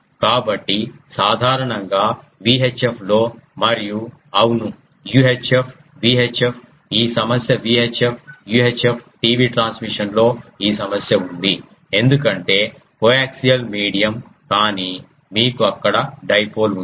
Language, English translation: Telugu, So, generally in VI chip and also ah um yes UI chip, VI chip, this prob ah VI chip UI chip ah TV transmission this problem is there because coaxial is the medium, but you have a dipole there